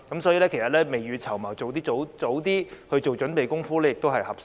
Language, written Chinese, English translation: Cantonese, 所以，其實未雨綢繆，盡早做準備工夫也是合適的。, Therefore actually it is appropriate to think and plan ahead and make preparations as early as possible